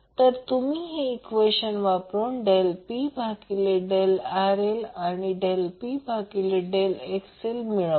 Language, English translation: Marathi, To do this we said del P by del RL and del P by del XL equal to 0